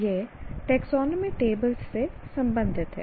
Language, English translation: Hindi, This is going to be related to what we call as taxonomy tables